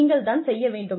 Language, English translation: Tamil, What you want to do